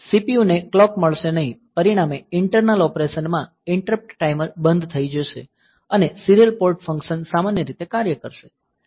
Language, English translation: Gujarati, So, CPU will not get the clock as a result the internal operation will stop interrupt timer and serial port functions act normally